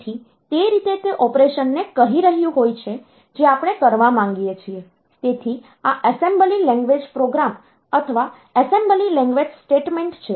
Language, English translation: Gujarati, So, that way it is telling the operation that we want to perform; so this assembly language program or assembly language statements